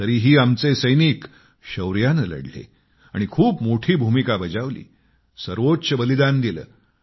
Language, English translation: Marathi, Despite this, our soldiers fought bravely and played a very big role and made the supreme sacrifice